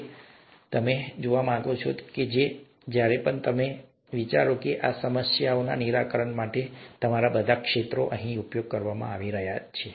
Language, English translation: Gujarati, So you may want to watch this, and while you are watching this, think of what all fields of yours are being used here to solve these problems